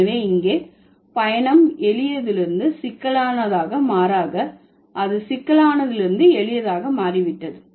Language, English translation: Tamil, So, the journey here is not from simple to complex, rather it has become from complex to simple